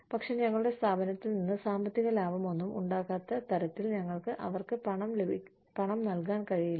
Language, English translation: Malayalam, But, we cannot pay them, so much, that we do not make, any monetary profit out of our organization